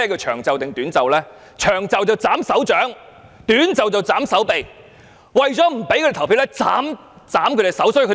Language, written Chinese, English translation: Cantonese, "長袖"是斬手掌，"短袖"是斬手臂，為了不讓他們投票，便把他們的手斬掉。, Long sleeves means the amputation of their hands whereas short sleeves means the amputation of their arms . In order to deter people from voting they have resorted to the amputation of their hands or arms